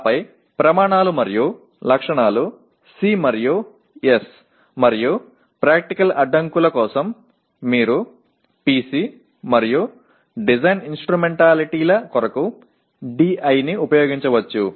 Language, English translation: Telugu, And then Criteria and Specifications C and S and for Practical Constraints you can use PC and Design Instrumentalities you can use DI, okay